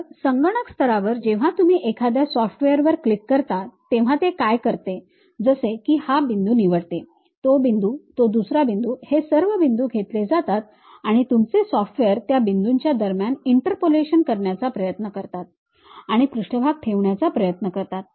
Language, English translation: Marathi, So, at computer level what it does is when you are clicking a software like pick this point, that point, another point it takes these points and your software try to does this interpolation in between those points try to put a surface